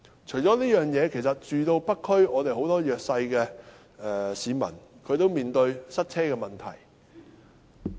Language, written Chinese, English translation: Cantonese, 此外，很多住在北區的弱勢市民均面對塞車問題。, Besides many disadvantaged people living in the North District face the problem of traffic congestion